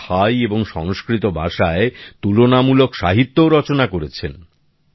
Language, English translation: Bengali, They have also carried out comparative studies in literature of Thai and Sanskrit languages